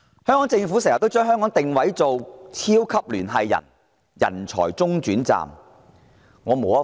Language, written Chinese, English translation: Cantonese, 香港政府經常將香港定位為超級聯繫人，人才中轉站。, The Government often positions Hong Kong as a super - connector and talent hub